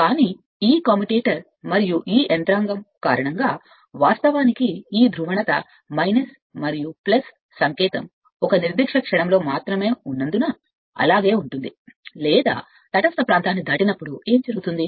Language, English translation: Telugu, But due to this commuator and this mechanism actually this your polarity this minus and plus sign will remain as it is right only at a your at the particular instant or you can say that when it is sub causes the neutral zone right